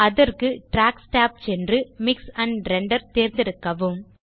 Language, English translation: Tamil, To do so, go to the Tracks tab and select Mix and Render